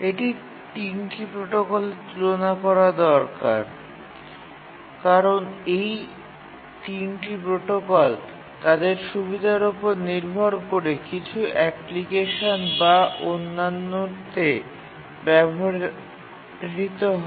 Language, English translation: Bengali, Now let's compare these three protocols that we looked at because all the three protocols are used in some application or other depending on their advantages